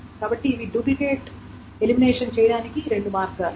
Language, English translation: Telugu, So these are the two ways of doing the duplicate elimination